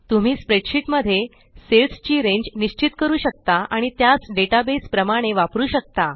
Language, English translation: Marathi, You can define a range of cells in a spreadsheet and use it as a database